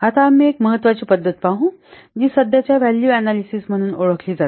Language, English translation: Marathi, Now we will see one of the important method that is known as present value analysis